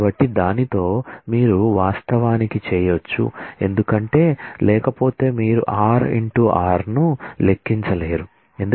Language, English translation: Telugu, So, with that you can actually because otherwise you cannot compute r cross r